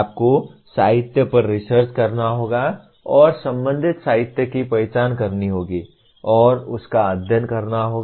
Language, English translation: Hindi, You have to research the literature and identify the relevant literature and study that